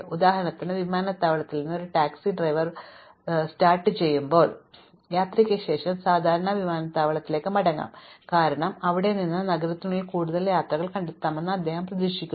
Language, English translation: Malayalam, For instance, a taxi driver operation there from the airport might typically go back to the airport after a free trip because he expects to find longer trips from there can within the city, right